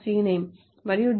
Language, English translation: Telugu, c name and d